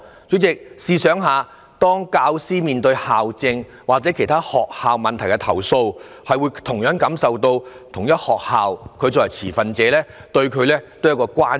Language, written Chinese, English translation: Cantonese, 主席，試想一下，當教師對校政或其他學校問題提出投訴，會受到同一學校有關的持份者的關注。, President imagine that when a teacher lodges a complaint about the governance or other problems of the school he or she will arouse the attention of the stakeholders of the same school